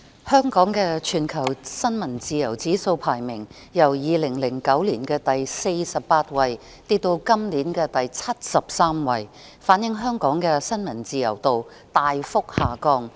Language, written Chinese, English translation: Cantonese, 香港的全球新聞自由指數排名，由2009年的第48位跌至本年的第73位，反映香港的新聞自由度大幅下降。, Hong Kongs ranking in the World Press Freedom Index has dropped from the 48 in 2009 to the 73 this year reflecting that the degree of press freedom in Hong Kong has declined significantly